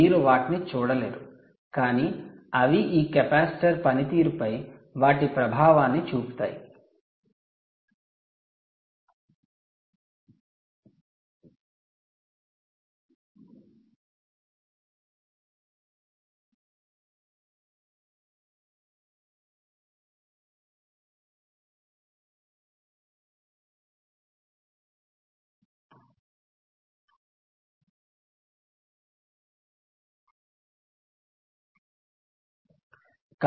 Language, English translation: Telugu, you wont see them, but they have their effect on the performance of this capacitor